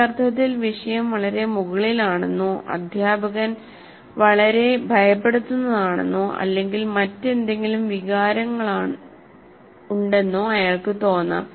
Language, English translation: Malayalam, In the sense, he may feel that this subject is too far above, or the teacher is very intimidating or whatever feelings that he have